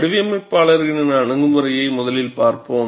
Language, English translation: Tamil, We will see that designers' approach first